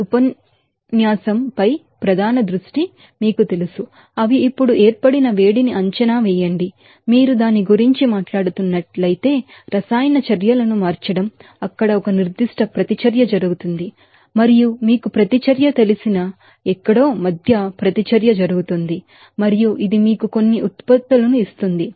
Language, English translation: Telugu, Main focus on this lecture is to you know, estimate the heat of formation they are now, change of enthalpy the chemical reactions if you are talking about that, there is a certain reaction happens there and that reaction is taking place between somewhere you know reactance and which will give you some products